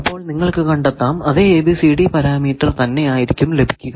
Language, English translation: Malayalam, So, let us find its ABCD parameter